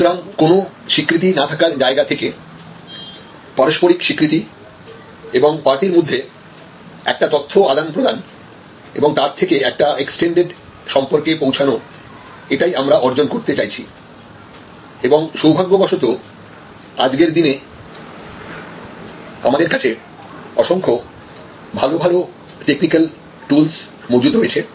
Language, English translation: Bengali, So, from no recognition to mutual recognition and knowledge between the parties and going forward to the extended relationship, this is what we want to achieve to do this fortunately today, there are number of good technical tools that are available